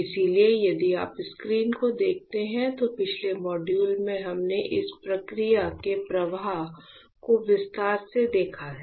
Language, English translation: Hindi, So, if you see the screen this is what we were talking about that in the last module we have seen this process flow in detailed